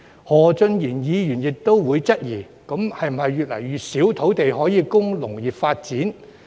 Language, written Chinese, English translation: Cantonese, 何俊賢議員亦會質疑，會否越來越少土地供農業發展？, Mr Steven HO may also question whether there will be less and less land available for agricultural development